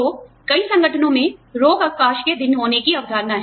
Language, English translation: Hindi, So, but, many organizations, have this concept, of having sick leave days